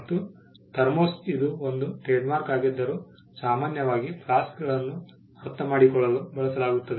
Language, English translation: Kannada, Thermos though it is a trademark is commonly used to understand flasks